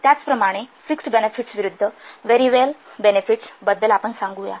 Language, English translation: Marathi, Similarly, let's say about fixed benefits versus variable benefits